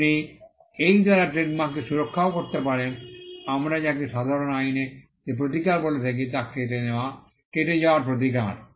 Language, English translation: Bengali, You can also protect trademarks by, what we call the remedy that is offered in common law that is the remedy of passing off